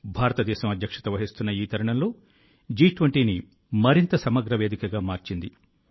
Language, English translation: Telugu, During her presidency, India has made G20 a more inclusive forum